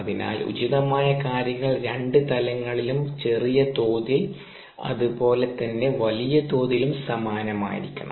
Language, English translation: Malayalam, so appropriate things need to be the same at two levels, at the small scale as well as at the large scale